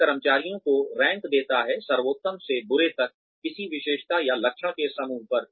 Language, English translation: Hindi, It ranks employees, from best to worst, on a trait, or group of traits